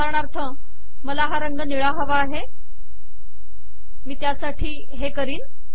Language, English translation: Marathi, For example if I want to change this to blue, I will do the following